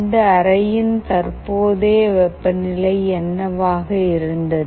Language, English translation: Tamil, What was the current temperature of this room